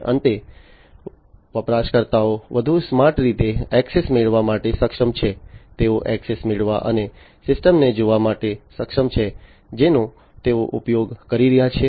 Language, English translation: Gujarati, And finally, the users are able to get access in a smarter way, they are able to get access and view the system, that they are using